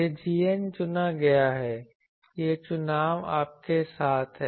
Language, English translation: Hindi, This g n, this g n is chosen this choice is with you